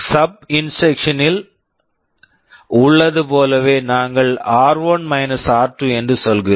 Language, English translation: Tamil, Like in SUB instruction we are saying r1 r2